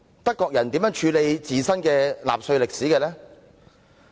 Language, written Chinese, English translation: Cantonese, 德國人如何處理自身的納粹歷史？, How do the Germans treat the history of Nazi Germany?